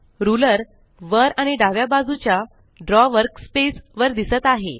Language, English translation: Marathi, The Ruler is displayed on the top and on the left side of the Draw workspace